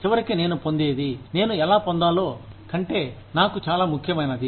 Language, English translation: Telugu, What I get in the end, is much more important for me than, how I get it